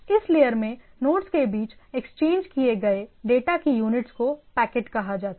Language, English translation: Hindi, So, unit of data exchanged between nodes in this layer are called packets